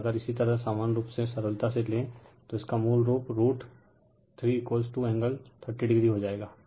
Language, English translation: Hindi, And if you take your simplify, it you it will become a root 3 into V p angle 30 degree right